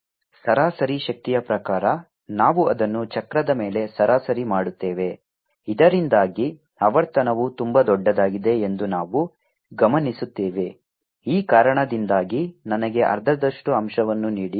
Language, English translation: Kannada, by average power mean we average it over cycle, so that we only observe that the frequency, very large, give me a factor of half because of this